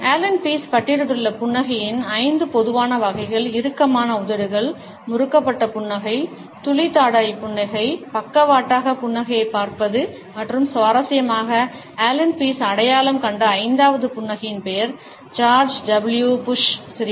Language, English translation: Tamil, The 5 common types of a smiles which have been listed by Allan Pease are the tight lipped smiles, the twisted smile, the drop jaw smile, sideways looking up smile and interestingly the name of the fifth smile identified by Allan Pease is the George W Bush Grin